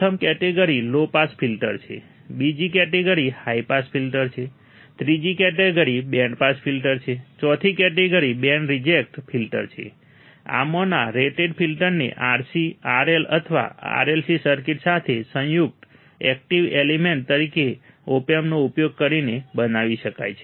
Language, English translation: Gujarati, The first category is low pass filter, second one is high pass filter, third one is band pass filter, fourth one is band reject filter; Each of these filters can be build by using opamp as the active element combined with RC, RL, or RLC circuit